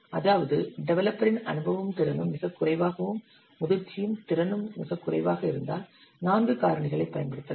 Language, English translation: Tamil, That means if developer the experience and capability is very low and maturity is very low, use a factor of 4